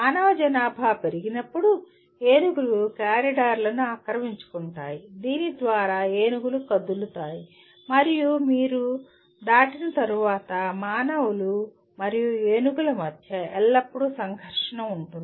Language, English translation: Telugu, And when the human populations increase, one may be encroaching on to the elephant corridors through which the elephants move and once you cross that there is always a conflict between humans and elephants